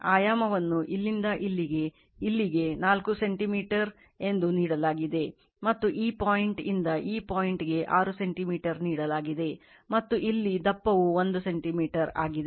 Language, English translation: Kannada, The dimension is given this height from here to here it is given 4 centimeter from this point to this point it is given 6 centimeter and here the thickness is 1 centimeter